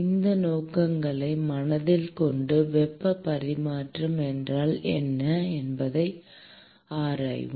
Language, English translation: Tamil, With these objectives in mind, let us delve into what is heat transfer